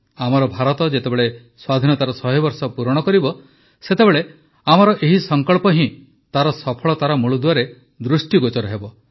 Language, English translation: Odia, When India completes one hundred years of Independence, then only these resolutions of ours will be seen in the foundation of its successes